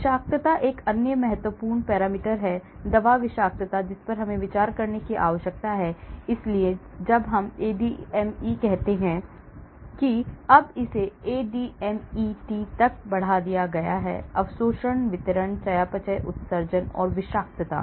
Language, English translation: Hindi, Toxicity is another important parameter, the drug toxicity which we need to consider, so when we say ADME now it has been extended to ADMET; absorption distribution metabolism excretion and toxicity